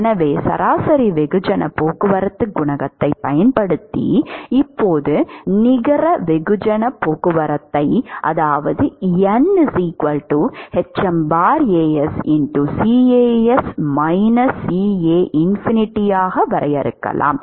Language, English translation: Tamil, So, that is the net mass transport rate based on the average mass transport coefficient alright